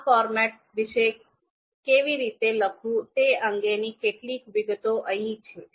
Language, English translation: Gujarati, The few details about this format on how this is to be written are here